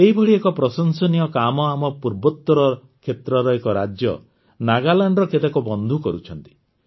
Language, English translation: Odia, One such commendable effort is being made by some friends of our northeastern state of Nagaland